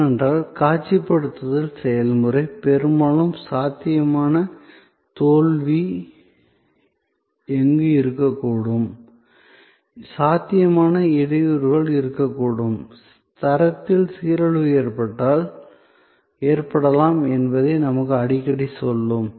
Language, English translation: Tamil, Because, as we will see that process of visualization will often tell us, where the possible failure can be, possible bottlenecks can be, possible degradation of quality can occur